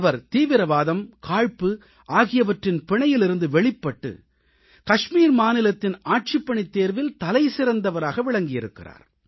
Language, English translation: Tamil, He actually extricated himself from the sting of terrorism and hatred and topped in the Kashmir Administrative Examination